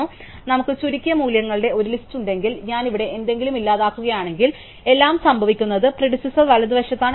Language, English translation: Malayalam, So, if we have some list of shorted values and I delete something here, then what happens is that everything is to the right of the predecessor